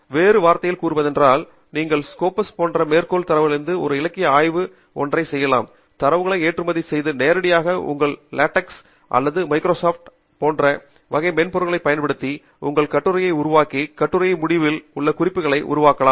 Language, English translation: Tamil, in other words, you can perform a literature survey in a citation database such as this, Copas, export the data and use it directly using typesetting software such as latex or Microsoft Office to generate your article references at the end of the article, and you can also use it for your thesis